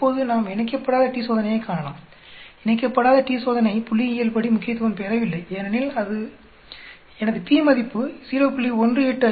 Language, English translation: Tamil, Now let us look the unpaired t Test, unpaired t Test not statistically significant because my p value comes out to be 0